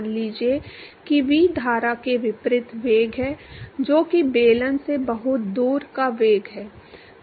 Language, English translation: Hindi, Let us say V is the upstream velocity which is the velocity very far away from the cylinder